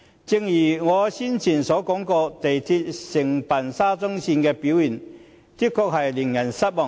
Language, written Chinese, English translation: Cantonese, 正如我先前提及，港鐵公司承辦沙中線工程的表現，確實令人失望。, As I said earlier the performance of MTRCL in undertaking the SCL project is indeed disappointing